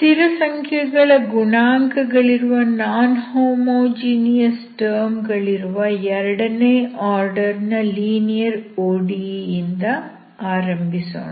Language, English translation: Kannada, So let us start with second order linear ODE with non homogeneous term